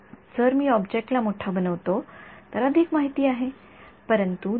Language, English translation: Marathi, If I make the object bigger then there is more information, but if for a given head, fixed